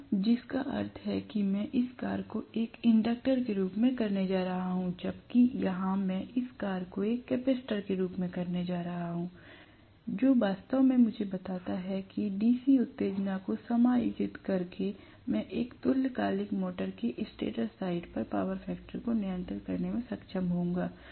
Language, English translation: Hindi, So, which means I am going to have this work as an inductor, whereas here, I am going to make this work as a capacitor which actually tells me that I will be able to control the power factor on the stator side of a synchronous motor by adjusting the DC excitation